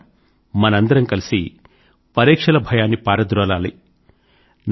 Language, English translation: Telugu, Friends, we have to banish the fear of examinations collectively